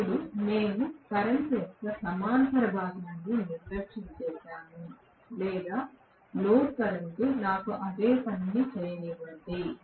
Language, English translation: Telugu, Now, we just neglected the parallel component of current or the no load current let me do the same thing